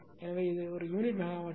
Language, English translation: Tamil, 01 per unit megawatt, right